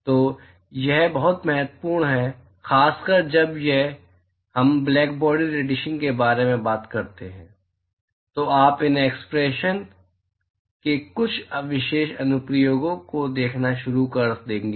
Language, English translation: Hindi, So, this is very important, particularly when we talk about blackbody radiation, you will start seeing some special applications of these expressions